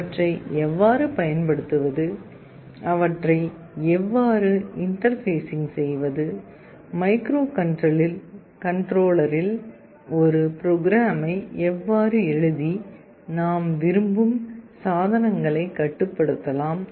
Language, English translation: Tamil, How to use them, how to interface them, and how to write a program in the microcontroller to control them in the way we want